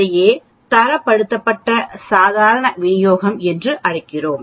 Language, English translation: Tamil, That is what is called standardized normal distribution